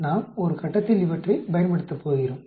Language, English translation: Tamil, We are going to use these at some point